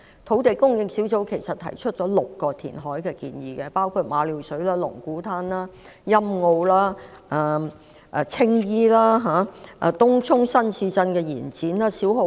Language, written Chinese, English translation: Cantonese, 土地供應專責小組其實提出了6項填海建議，包括馬料水、龍鼓灘、欣澳、青衣、東涌新市鎮的延展及小蠔灣。, In fact the Task Force on Land Supply has made recommendations on six potential reclamation sites namely Ma Liu Shui Lung Kwu Tan Sunny Bay Tsing Yi extension of the Tung Chung New Town and Siu Ho Wan